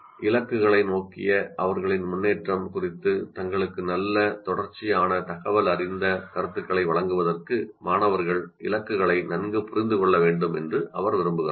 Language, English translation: Tamil, She wants students to understand the goals well enough to be able to give themselves good continuous informative feedback on their progress towards the goals